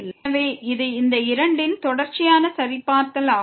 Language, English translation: Tamil, So, it is a continuity check of these two